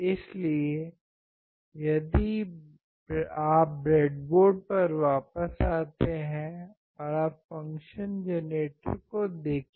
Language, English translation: Hindi, So, if you come back to the experiment board and you see the function generator